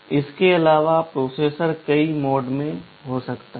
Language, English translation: Hindi, In addition the processor can be in many modes